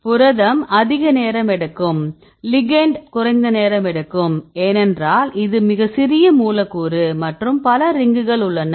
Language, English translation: Tamil, Protein takes more time because ligand take less time because it is a very small molecule and there are many rings